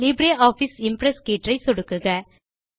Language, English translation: Tamil, Now click on the LibreOffice Impress tab